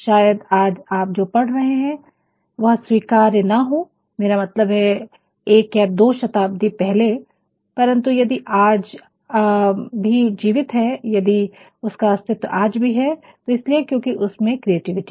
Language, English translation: Hindi, Maybe, what you are reading today might not have been acceptableI mean 1 or 2 centuries ago, but if it is still persists, if it is still exists that is only because of it is creativity